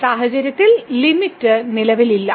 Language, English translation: Malayalam, So, in this case the limit does not exist